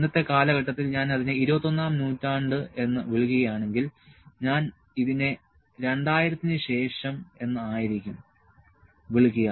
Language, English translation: Malayalam, So, in today’s era if I call it in 21st century, I would call it in may be after 2000